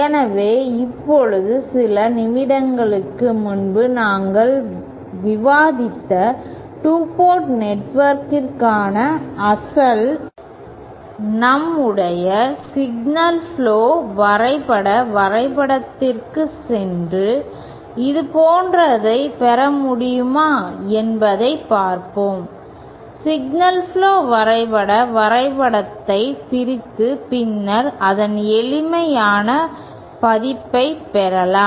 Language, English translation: Tamil, So, now let us go back to the original, to our, to the signal flow graphs diagram for the 2 port network that we had discussed a few moments ago and see whether we can get a similar, we can decompose the signal flow graph diagram and obtain the simplified version of it